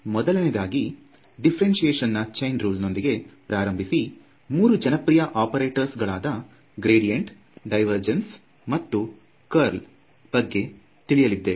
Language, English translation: Kannada, We will start with the Chain Rule of Differentiation, introduce the idea of the gradient, move to the three most popular operators that we will find the gradient, divergence and the curl